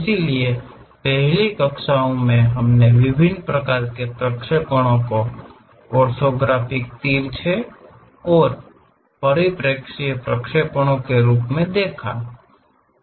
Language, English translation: Hindi, So, in the earlier classes, we have seen different kind of projections as orthographic oblique and perspective projections